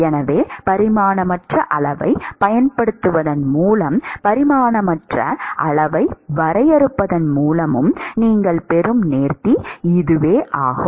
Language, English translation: Tamil, So, this is the elegance that you get by using a dimensionless quantity and defining a dimensionless quantity